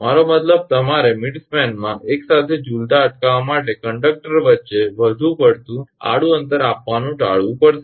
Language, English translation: Gujarati, I mean you have to avoid providing excessive horizontal spacing between conductors to prevent them swinging together in midspan